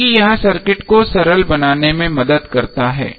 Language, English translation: Hindi, because it helps in simplifying the circuit